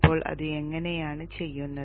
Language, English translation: Malayalam, So how is this done